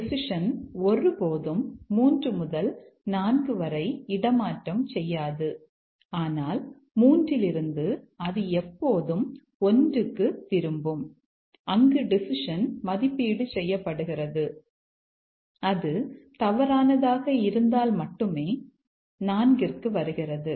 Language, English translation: Tamil, The decision never transfers from 3 to 4, but from 3 it always goes back to 1 where the decision is evaluated and only if it is false it comes to 4